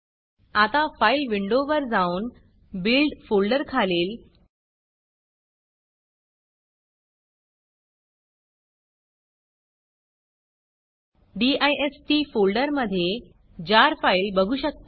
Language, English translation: Marathi, You can now go to the Files menu, and under the build folder, under dist folder, you can see the jar file